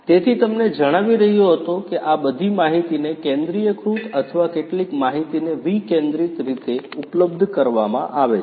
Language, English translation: Gujarati, So, I was telling you that after all this data are made available in a centralized manner or some decentralized manner as well